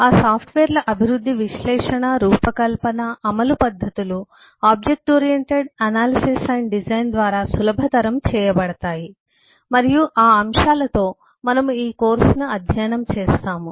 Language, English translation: Telugu, and the development, analysis, design, implementation techniques for those software can be facilitated by object oriented analysis and design and with those aspects we will study the course